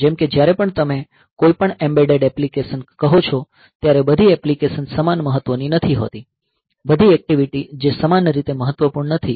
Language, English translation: Gujarati, Like whenever you are having say any embedded application then all the activities are not equally important ok, all the events that are not equally important